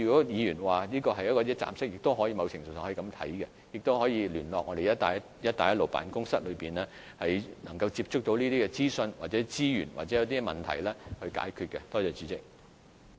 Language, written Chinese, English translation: Cantonese, 議員建議設立一個一站式的服務平台，某程度上，中小企也可以聯絡辦公室，以便取得到有關的資訊或資源；或它們遇上問題時，辦公室也可以協助解決。, The Honourable Member suggested setting up a one - stop service platform . To a certain extent SMEs can contact BRO to obtain relevant information or resources . Or when they encounter problems BRO can provide assistance in finding solutions